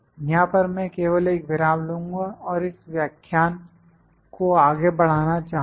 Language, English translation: Hindi, I will just have a break here and I will like to continue this lecture